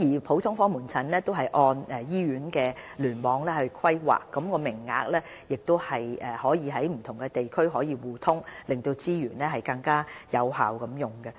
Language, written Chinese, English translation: Cantonese, 普通科門診按照醫院聯網規劃，地區內各普通科門診的名額可互通，令資源能更有效運用。, GOP services are provided on the basis of hospital clusters and consultation quotas are pooled together for use among clinics in nearby area to achieve effective use of resources